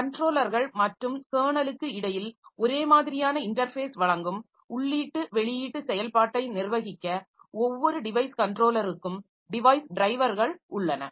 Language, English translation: Tamil, And we have got device drivers for each device controller to manage the input output operation that provides uniform interface between controller and kernel